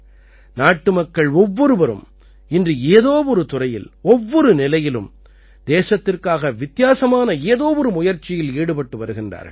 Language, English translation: Tamil, Today every countryman is trying to do something different for the country in one field or the other, at every level